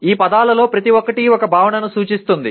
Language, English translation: Telugu, Each one of those words represents a concept